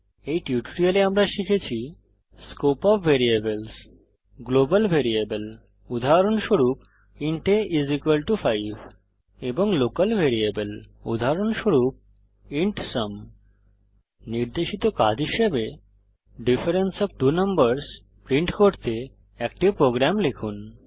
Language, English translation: Bengali, let us summarise In this tutorial we learnt , Scope of variable, Global variable, e.g#160: int a=5 amp And local variable ,e.g:int sum As an assignment, Write a program to print the difference of two numbers